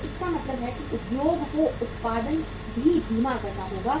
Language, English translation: Hindi, So it means the industry has to slow the production also